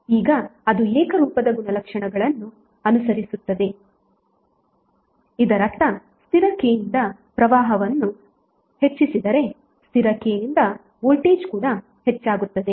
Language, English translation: Kannada, Now if it is following the homogeneity property it means that if current is increased by constant K, then voltage also be increased by constant K